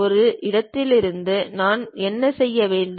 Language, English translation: Tamil, From one location what I have to do